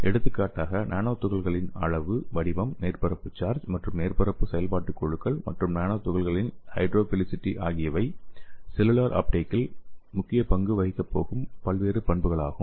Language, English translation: Tamil, For example the nano particles size, shape, surface charge and surface functional groups and also nano particles hydrophilicity so these are the various properties which is going to play a major role in this cellular uptake